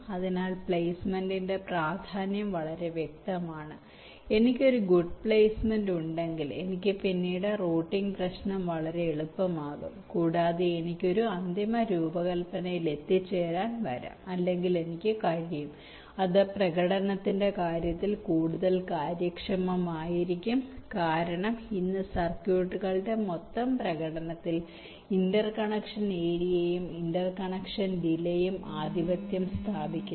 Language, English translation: Malayalam, ok, so the important of placement is quite cleared, that if i have a good placement i can have the routing problem much easier later on and also i can come or i can arrive at a final design which will be more efficient in terms of performance, because today interconnection area and interconnection delays are dominating the total performance of the circuits